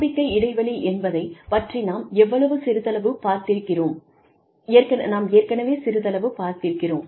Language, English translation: Tamil, We talked a little bit about, the trust gap